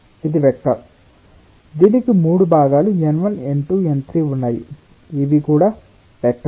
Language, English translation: Telugu, it has its three components: n one, n two, n three this also a vector